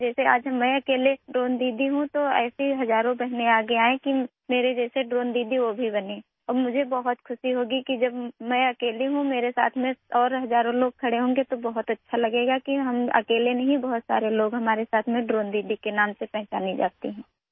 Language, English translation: Urdu, Just like today I am the only Drone Didi, thousands of such sisters should come forward to become Drone Didi like me and I will be very happy that when I am alone, thousands of other people will stand with me… it will feel very good that we're not alone… many people are with me known as Drone Didis